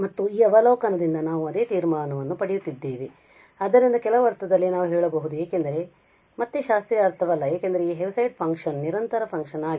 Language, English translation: Kannada, And the same conclusion we are getting from this observation so in certain sense we can say because again not the classical sense because this Heaviside function is a discontinuous function